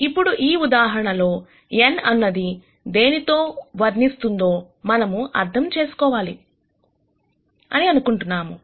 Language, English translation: Telugu, Now, we want to understand what this n depicts in this example